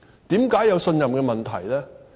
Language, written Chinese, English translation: Cantonese, 為何有信任問題？, Why is there the problem of confidence?